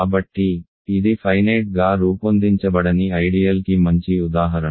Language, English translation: Telugu, So, this is a good example of a non finitely generated ideal